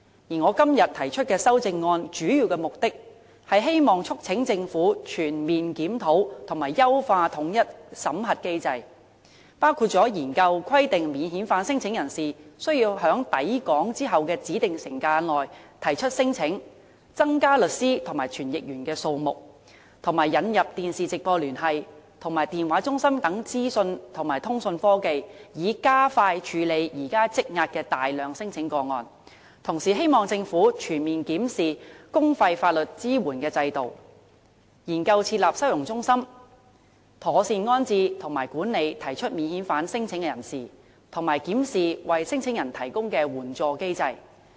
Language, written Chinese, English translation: Cantonese, 而我今天提出修正案的主要目的，是促請政府全面檢討和優化統一審核機制，包括研究規定免遣返聲請人士須在抵港後的指定時間內提出聲請，增加律師和傳譯員數目，以及引入電視直播聯繫及電話中心等資訊及通訊科技，以加快處理現時積壓的大量聲請個案；同時，也希望政府全面檢視公費法律支援的制度、研究設立收容中心、妥善安置和管理提出免遣返聲請的人士，並檢視為申請人提供的援助機制。, The major objective of the amendment that I put forward today is to urge the Government to comprehensively review and enhance the unified screening mechanism including exploring the imposition of a requirement that non - refoulement claimants must lodge claims within a specified time frame upon arriving in Hong Kong increasing the number of lawyers and interpreters and introducing information and communication technology such as live television link and call centres so as to expedite the processing of the large numbers of outstanding claims at present . Meanwhile it is also hoped that the Government will comprehensively review the publicly - funded legal assistance system explore the setting up of holding centres to properly settle and manage non - refoulement claimants and review the assistance mechanism provided to the claimants